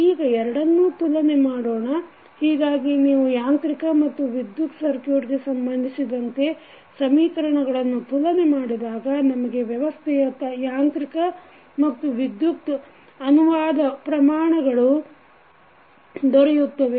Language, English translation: Kannada, Now, let us compare both of them, so, if you compare the equations related to mechanical and the electrical circuit, we will get the analogous quantities of the translational mechanical system and electrical system